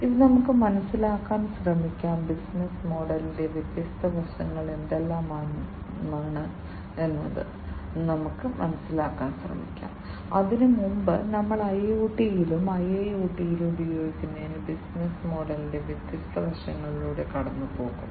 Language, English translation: Malayalam, So, let us now try to understand; what are the different aspects of the business model, that we should try to understand, before even we go through the different you know the different aspects of the business model for use in IoT as well as IIoT